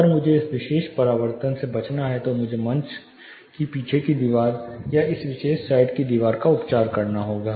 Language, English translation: Hindi, If I have to avoid this particular reflection, then I will have to treat either the rear wall of the stage or this particular side wall